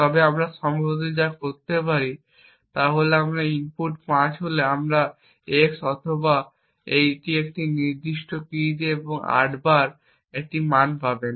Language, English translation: Bengali, So, for example if we have this memory controller what we could possibly do is if your input is 5 you EX OR it with a certain specific key and obtain a value of 8